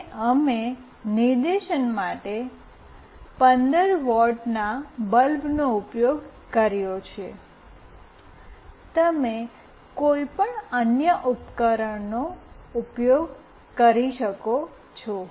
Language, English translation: Gujarati, And we have used a 15 watt bulb for demonstration, you can use any other device